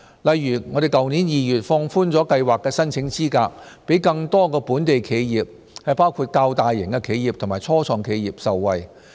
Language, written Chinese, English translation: Cantonese, 例如去年2月放寬了計劃的申請資格，讓更多本地企業，包括較大型企業及初創企業受惠。, For example in February last year the eligibility criteria of TVP have been relaxed so as to benefit more local enterprises including the bigger enterprises and start - ups